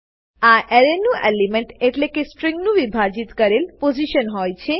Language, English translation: Gujarati, The elements of this Array are the divided portions of the string